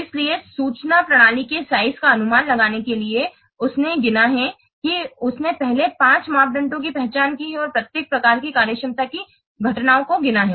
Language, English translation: Hindi, So, in order to estimate the size of an information system, he has counted, he has first identified five parameters and counted the occurrences of each type of functionality